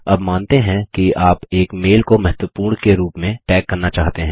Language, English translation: Hindi, Lets say you want to tag a mail as Important